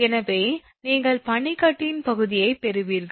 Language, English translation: Tamil, So, you will get the area of the ice